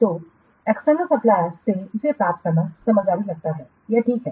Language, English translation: Hindi, So getting it from outside from external suppliers it seems sensible